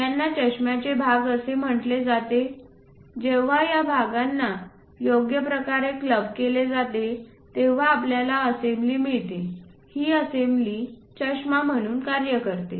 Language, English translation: Marathi, These are called parts parts of this spectacle, when you club them in a proper way you will be in a position to get an assembly that assembly makes the functionality like spectacles